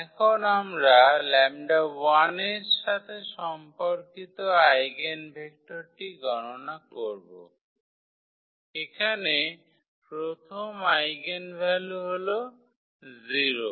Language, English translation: Bengali, So, now, we will compute the eigenvector corresponding to lambda 1, the first eigenvalue that is 0 here